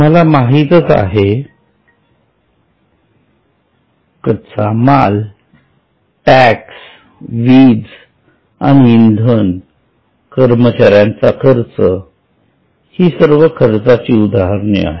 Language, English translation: Marathi, So, raw materials, taxes, power and fuel, employee costs, you know all of these are various expenses